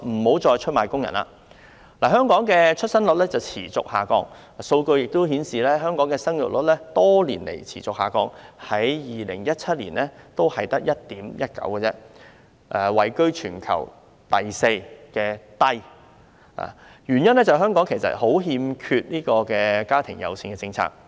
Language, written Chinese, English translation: Cantonese, 本港的出生率持續下降，數據亦顯示，香港的生育率多年來持續下降 ，2017 年只有 1.19， 位居全球第四低位，原因在於香港嚴重欠缺"家庭友善"的政策。, Data also show that Hong Kongs fertility rate has been falling over the years . In 2017 it was only 1.19 ranking the fourth lowest in the world . The reason is that Hong Kong is seriously lacking in family - friendly policies